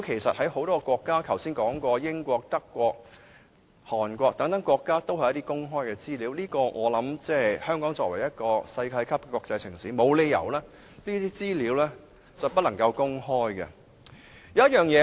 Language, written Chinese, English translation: Cantonese, 在很多國家，例如剛才提到的英國、德國和韓國等，這些都是公開資料，而香港作為世界級國際城市，沒有理由不能公開這些資料。, In many countries such as the United Kingdom Germany and South Korea mentioned by Members earlier this kind of information is open to the public . There is no reason for Hong Kong a world - class international city to keep such information secret